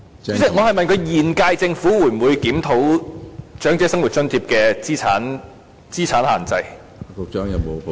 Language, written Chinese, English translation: Cantonese, 主席，我問局長現屆政府會否檢討長者生活津貼的資產限制。, President I am asking the Secretary if the current - term Government will review the asset limit for OALA